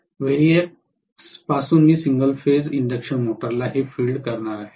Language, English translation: Marathi, From the variac I am going to feed it to the single phase induction motor